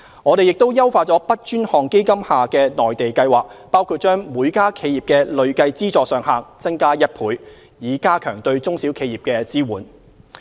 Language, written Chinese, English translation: Cantonese, 我們亦優化 BUD 專項基金下的內地計劃，包括把每家企業的累計資助上限增加1倍，以加強對中小企業的支援。, We have also enhanced the Mainland Programme under the BUD Fund including doubling the cumulative funding ceiling per enterprise to strengthen support to SMEs